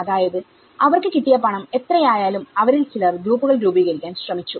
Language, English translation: Malayalam, So, which means whatever the cash inflows they have got, some of them they have tried to form into groups